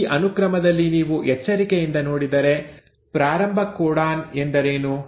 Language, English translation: Kannada, Now, in this sequence if you see carefully, what is the start codon